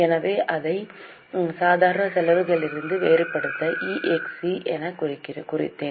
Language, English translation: Tamil, So, I have marked it as EXC to differentiate it from normal expenses